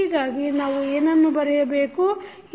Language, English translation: Kannada, So, what we can write